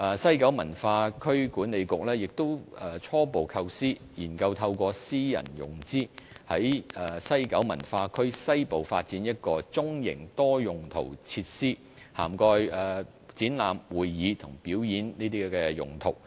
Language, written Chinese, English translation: Cantonese, 西九文化區管理局亦初步構思，研究透過私人融資，在西九文化區西部發展一個中型多用途設施，涵蓋展覽、會議及表演等用途。, The West Kowloon Culture District WKCD Authority is also considering as a preliminary idea the development of a medium - sized multi - purpose venue for exhibition convention and performance purposes in the western part of the WKCD through private sector financing